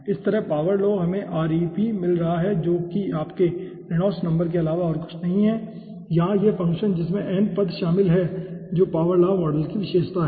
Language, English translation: Hindi, similarly, power law, we are getting rep, which is nothing but you reynolds number, and here this is the function which is involving the term n, which is the characteristics of the power law model